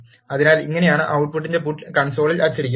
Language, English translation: Malayalam, So, this is how, the output will be printed in console